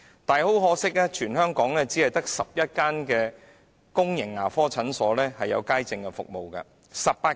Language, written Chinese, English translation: Cantonese, 然而，很可惜，在全港18區只有11間公共牙科診所提供街症服務。, It is a shame that throughout Hong Kong there are only 11 public dental clinics that provide outpatient service